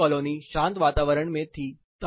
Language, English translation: Hindi, The other one was in a quieter environment